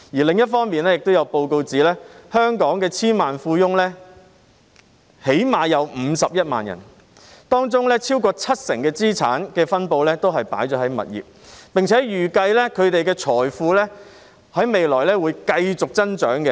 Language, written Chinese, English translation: Cantonese, 另一方面，也有報告指出，香港最少有51萬名千萬富翁，當中超過七成資產分布也是在物業，並且預計他們的財富未來會繼續增長。, On the other hand according to a report Hong Kong has at least 510 000 decamillionaires and real estate accounts for over 70 % of their assets . It is estimated that their wealth will continue to grow in the future